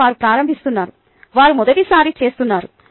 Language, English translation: Telugu, they are looking at it to the first time